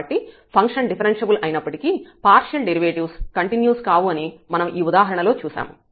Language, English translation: Telugu, So, what we have observed in this example, that the function is continuous and it is partial derivatives exist, but the function is not differentiable